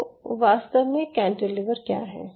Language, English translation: Hindi, ok, so cantilever, essentially